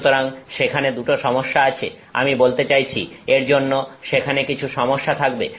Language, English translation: Bengali, So, there are two issues with this I mean so, corresponding to this there are some issues